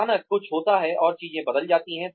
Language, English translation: Hindi, Suddenly, something happens, and things change